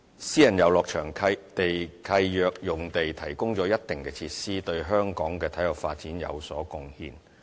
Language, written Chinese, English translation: Cantonese, 私人遊樂場地契約用地提供了一定的設施，對香港的體育發展有所貢獻。, Certain facilities provided on the sites under Private Recreational Leases are conducive to the development of sports in Hong Kong